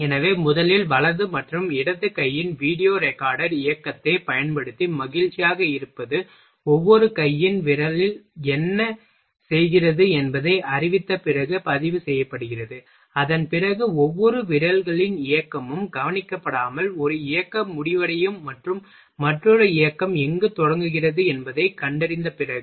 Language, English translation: Tamil, So, first what is happing using the video recorder motion of right and left hand is recorded after that notice what the finger of each hand do, after that each fingers movement is not get noticed after that detect where one motion ends and another begins